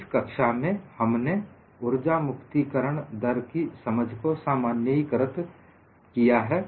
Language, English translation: Hindi, So, in this class, we have generalized our understanding on energy release rate